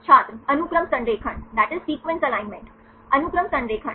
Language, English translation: Hindi, Sequence alignment Sequence alignments